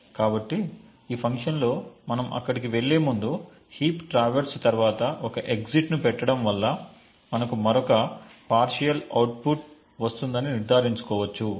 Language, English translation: Telugu, So, this function so before we go there, we can just put an exit here soon after traverse heap just to ensure that we get another partial output